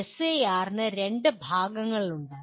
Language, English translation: Malayalam, SAR has two parts